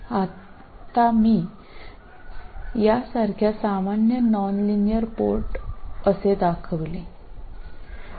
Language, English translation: Marathi, Now I will represent a general nonlinear one port like this